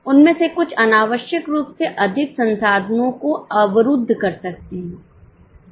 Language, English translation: Hindi, Some of them may be blocking more resources unnecessarily